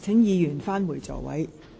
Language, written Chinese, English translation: Cantonese, 請議員返回座位。, Will Members please return to their seats